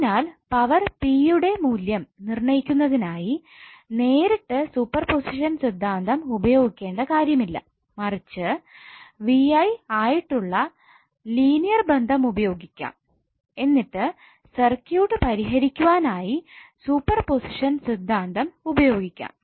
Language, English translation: Malayalam, So you need not to go for finding out the value of power P directly using super position theorem but you can use the linear relationship of VI and use super position theorem to solve the circuit